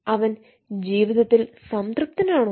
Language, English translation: Malayalam, is he satisfied with life